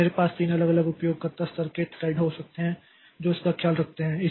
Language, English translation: Hindi, So, I can have three different user level threads that takes care of that